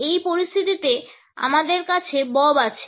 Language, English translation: Bengali, In this scenario we have Bob